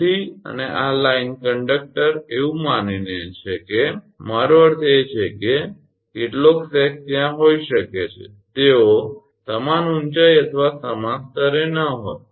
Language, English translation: Gujarati, So, and this is the line conductor assuming I mean some sag may be there may be they are not at the equal height or equal level